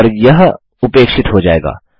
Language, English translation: Hindi, And this one will be ignored